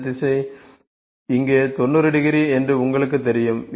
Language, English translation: Tamil, You know this direction is 90 degree here